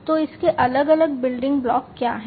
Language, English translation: Hindi, So, what are the different building blocks of it